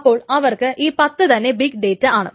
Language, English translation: Malayalam, So for them, 10 is big data